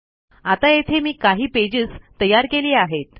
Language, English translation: Marathi, Now I have created a few pages here